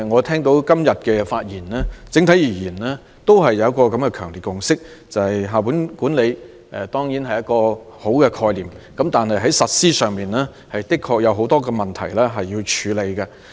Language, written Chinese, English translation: Cantonese, 聽罷今天的發言，我認為整體而言，大家都有一個強烈的共識，就是校本管理固然是很好的概念，但在實施方面確有很多問題要處理。, After listening to Honourable colleagues remarks today I think there is a strong consensus that school - based management is a very good concept but there are a lot of problems with implementation that should be dealt with